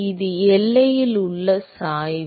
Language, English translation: Tamil, It is the gradient at the boundary